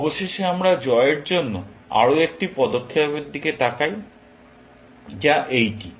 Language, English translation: Bengali, Finally, we look at one more move for win, which is this